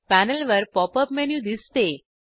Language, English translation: Marathi, Pop up menu appears on the panel